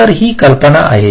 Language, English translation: Marathi, ok, so the idea is this